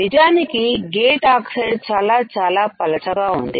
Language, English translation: Telugu, Actually the gate oxide is extremely thin